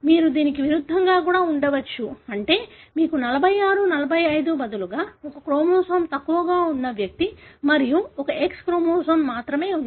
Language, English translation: Telugu, You could also have the opposite, meaning you have an individual who is having one chromosome less, 45 instead of 46 and has got only one X chromosome